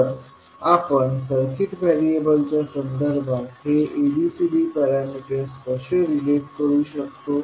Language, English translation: Marathi, So, how we will relate these ABCD parameters with respect to the circuit variables